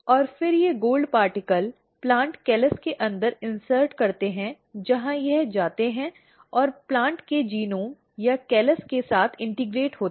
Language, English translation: Hindi, And, then these gold particle insert inside the plant callus where it goes and integrate with the genome of the plant or the callus